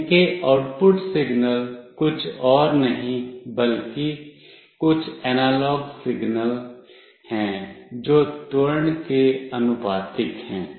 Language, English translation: Hindi, The output signals of these are nothing but some analog signals that are proportional to the acceleration